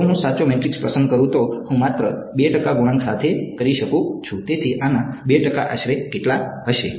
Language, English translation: Gujarati, If I choose a correct matrix, I can with just 2 percent coefficients; so, 2 percent of this is going to be roughly how much